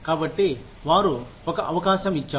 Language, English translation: Telugu, So, they say, given an opportunity